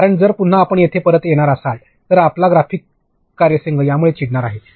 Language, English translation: Marathi, Because, there again you are going to come back and your graphics team is going to get annoyed with it